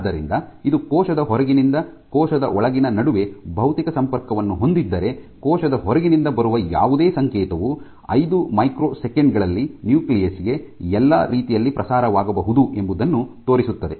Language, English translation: Kannada, So, this is a picture shows schematic shows that if you had a physical linkage between the outside of the cell to the inside of the cell, then any signal from the outside can get propagated all the way to the nucleus in as little as 5 seconds 5 microseconds